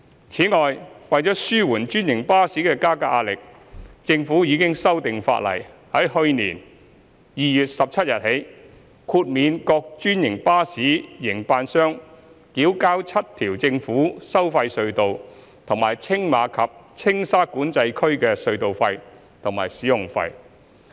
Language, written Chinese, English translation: Cantonese, 此外，為紓緩專營巴士的加價壓力，政府已修訂法例，自去年2月17日起，豁免各專營巴士營辦商繳交7條政府收費隧道和青馬及青沙管制區的隧道費和使用費。, Moreover to relieve the pressure of fare increase of franchised buses the Government has amended the legislation to exempt franchised bus operators from paying the tolls and fees of seven government tolled tunnels and the Tsing Ma and Tsing Sha Control Areas from 17 February last year